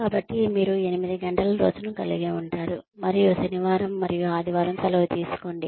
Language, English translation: Telugu, So, you can keep thinking that, we will have an eight hour day, and take Saturday and Sunday off